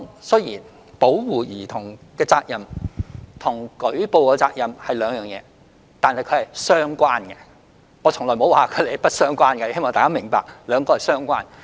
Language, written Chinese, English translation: Cantonese, 雖然保護兒童的責任和舉報責任是兩回事，但兩者是相關的；我從沒說過它們不相關，希望大家明白，兩者是相關的。, Although the duties to protect a child and to report is different they are related . I have never said that they are unrelated and I hope Members can take note of the point that they are related